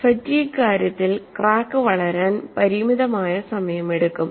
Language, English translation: Malayalam, In the case of fatigue, the crack takes finite time to grow